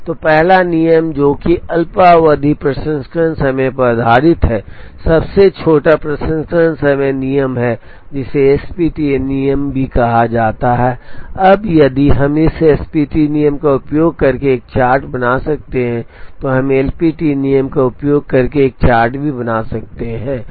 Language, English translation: Hindi, So, the first rule that is based on short term processing time is the Shortest Processing Time rule also called SPT rule, now if we can draw a chart using this SPT rule, we can also draw a chart using the LPT rule